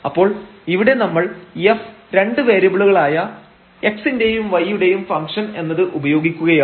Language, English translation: Malayalam, So, we are making use of that this f is a function of 2 variables x and y